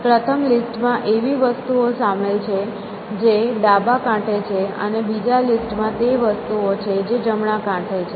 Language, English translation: Gujarati, So, a list of two lists, the first list contains things which are on the left bank and the second list contains things which are on the right bank